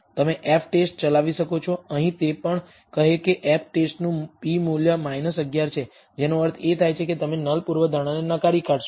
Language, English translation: Gujarati, You can run an f test, here also it says the p value of the f test is minus 11, which means you will reject the null hypothesis